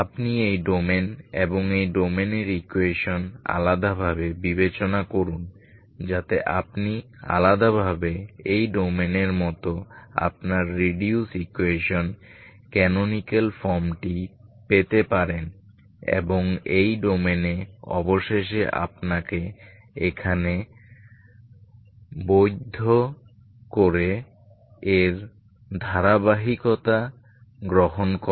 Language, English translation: Bengali, So as we have seen earlier this is only one dimensional domain you consider the equation in this domain and in this domain separately so that you can get your reduced equation canonical form as in this domain separately and in this domain finally just valid you in here, by taking continuity of it